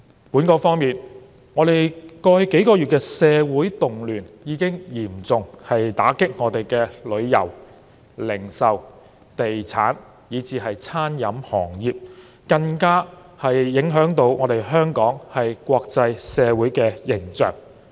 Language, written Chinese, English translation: Cantonese, 本港方面，過去數個月的社會動亂已經嚴重打擊旅遊、零售、地產以至餐飲行業，更影響了香港的國際形象。, In Hong Kong social unrest in the past few months has hit the travel retail property and catering industries hard and affected Hong Kongs international image